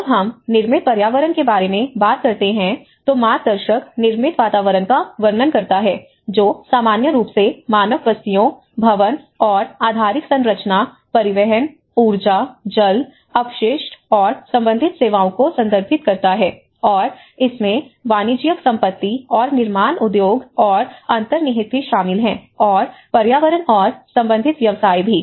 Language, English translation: Hindi, When we talk about the built environment, the guide describes the built environment which refers in general terms to human settlements, building and infrastructure, transport, energy water, and waste and related services and it also includes the commercial property and construction industries and the built environment and the related professions